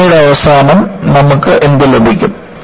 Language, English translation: Malayalam, At the end of the test, what you get